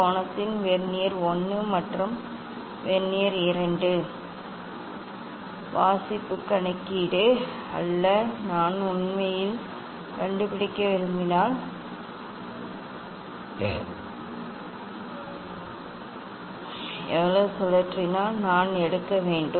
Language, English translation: Tamil, Not of Vernier 1 and Vernier 2 reading calculation of angle if how much it is rotated if I want to find out actually, we have to take